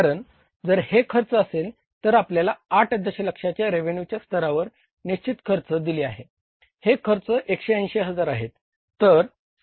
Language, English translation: Marathi, So, fixed cost is given to us is at the 8 million level of the revenue it is 180,000